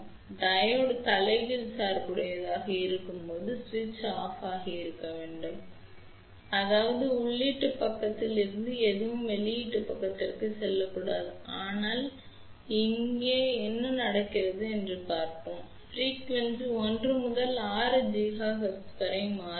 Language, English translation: Tamil, So, when the Diode is reverse bias ideally switch should have been off; that means, nothing from input side should go to the output side, but let us see what is happening here frequency varies from 1 to 6 gigahertz